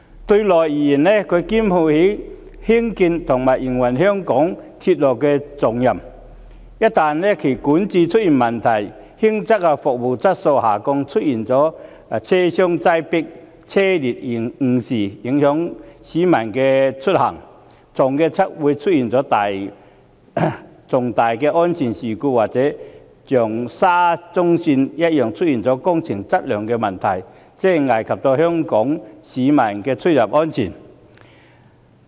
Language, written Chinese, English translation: Cantonese, 對內而言，港鐵公司肩負興建和營運香港鐵路的重任，一旦管治出現問題，輕則服務質素下降，出現車廂擠迫、班次延誤，影響市民出行，重則出現重大安全事故，或一如沙中線工程般，出現工程質素問題，危及香港市民的出入安全。, Domestically MTRCL is vested with the important task of railway construction and operation in Hong Kong . Any problems with its governance will lead to a decline in the service quality in minor cases such as crowdedness of train compartments and train delays and affect peoples journeys . In serious cases it will give rise to major safety incidents or those works quality problems that have been found in the SCL project and jeopardize the travel safety of Hong Kong people